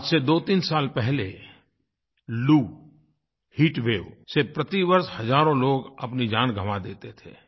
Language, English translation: Hindi, Two three years ago, thousands of people would lose their lives every year due to heatwave